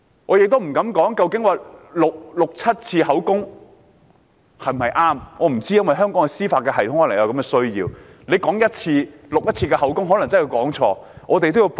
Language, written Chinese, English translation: Cantonese, 我不敢說錄取六七次口供是否正確，也許在香港的司法制度下有此需要，因為恐怕只錄取1次口供可能會有錯漏。, And I dare not say if taking statements six or seven times is the right thing to do . This may be necessary under Hong Kongs judicial system in case there are errors in taking the first statement